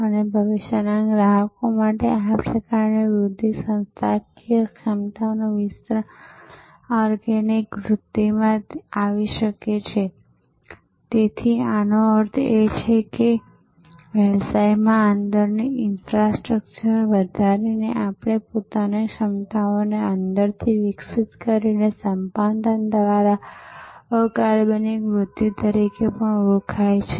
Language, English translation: Gujarati, And this kind of growth for future customers, expanding the organizational capability can come from organic growth; that means from within by evolving our own competencies by increasing the infrastructure within the business of course, it can also come by what is known as inorganic growth by acquisition